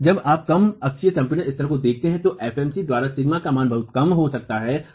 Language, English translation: Hindi, And when you look at low axial compression levels, this value of sigma not by FMC can be very low